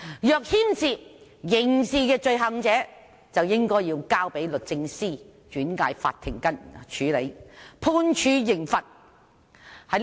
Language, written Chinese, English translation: Cantonese, 若牽涉刑事罪行，應該交由律政司轉介法庭處理，判處刑罰。, If any criminal offence is involved the matter should be referred by the Department of Justice to the court for sentencing